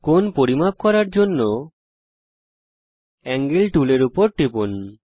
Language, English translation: Bengali, To measure the angle, click on the Angle tool